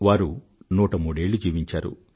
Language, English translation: Telugu, He lived till 103 years